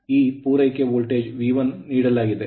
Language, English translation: Kannada, In this supply voltage is V 1 right